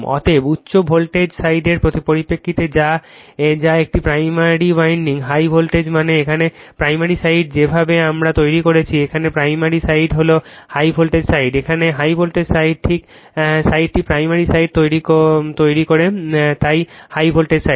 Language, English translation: Bengali, Therefore, in terms of high voltage side that is a primary winding, right, high voltage means here primary side the way we are made it, right here you are primary side is the high voltage side, right